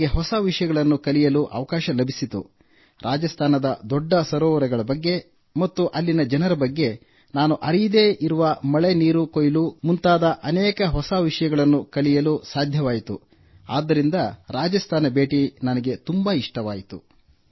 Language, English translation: Kannada, I got to learn many new things about the big lakes of Rajasthan and the people there, and rain water harvesting as well, which I did not know at all, so this Rajasthan visit was very good for me